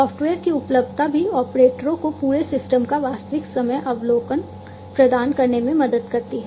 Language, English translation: Hindi, Availability of software also helps in providing real time overview of the entire system to the operators